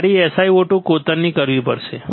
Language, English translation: Gujarati, I have to etch SiO 2